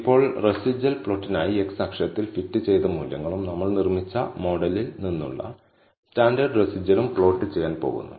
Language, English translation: Malayalam, Now, for the residual plot, I am going to plot fitted values on the x axis and the standardized residual from the model we have built